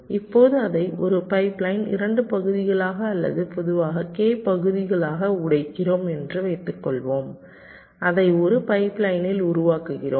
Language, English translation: Tamil, ok, now suppose we break it into two parts in a pipe line, or k parts in general, we make it in a pipe line